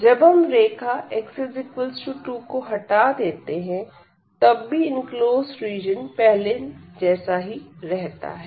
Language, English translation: Hindi, So, even if we remove also this x is equal to 2 the region enclosed will be the same